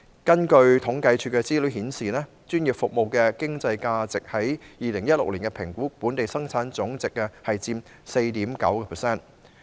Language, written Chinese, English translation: Cantonese, 政府統計處的資料顯示，專業服務的經濟價值佔2016年的本地生產總值的 4.9%。, Information of the Census and Statistics Department shows that in 2016 the economic value of professional services accounted for 4.9 % of our Gross Domestic Product